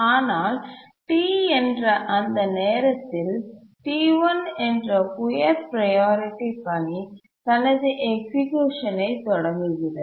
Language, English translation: Tamil, But at that point of time, that is T, a high priority task, which is T1, starts executing and it does some local processing here